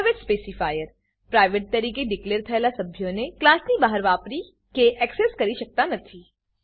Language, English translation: Gujarati, Private specifier The members declared as private cannot be used or accessed outside the class